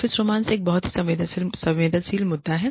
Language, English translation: Hindi, Office romance is a very sensitive issue